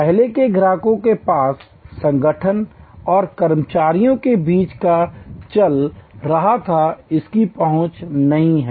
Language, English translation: Hindi, Access, earlier customers didn’t have access to what was going on between the organization and it is employees